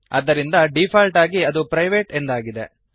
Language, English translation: Kannada, So by default it is private